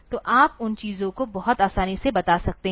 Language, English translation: Hindi, So, you can tell those things very easily